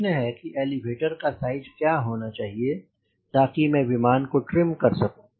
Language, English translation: Hindi, the question here is: what is the elevator size so that i can trim this aero plane here